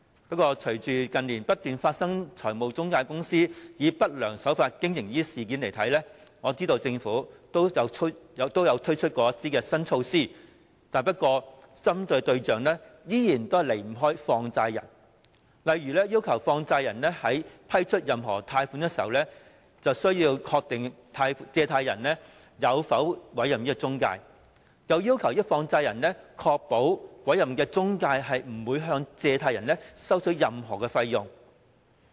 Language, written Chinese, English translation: Cantonese, 不過，隨着近年不斷發生中介公司以不良手法經營的事件，我知道政府也曾推出一些新措施，但針對的對象依然離不開放債人，例如要求放債人在批出任何貸款時必須確定借款人有否委任中介公司，亦要求放債人確保委任的中介公司不會向借款人收取任何費用。, However as I understand it in face of the repeated occurrence of incidents of intermediaries operating with unscrupulous practices in recent years the Government has put forward some new measures yet such measures still target only money lenders such as requiring money lenders to confirm at the grant of the loan whether the borrower has appointed an intermediary and requiring money lenders to ensure that the appointed intermediary does not charge any fee on the borrower